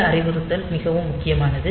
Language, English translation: Tamil, So, this instruction is very, very important